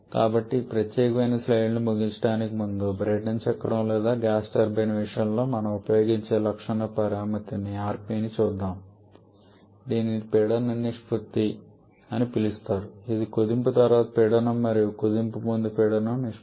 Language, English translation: Telugu, So, to wrap up this particular slide the characteristic power parameter that we use in case of a Brayton cycle or gas turbine that is called the rp the pressure ratio which is pressure after compression by pressure before compression